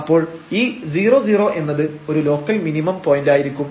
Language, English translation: Malayalam, So, this 0 0 is a point of local minimum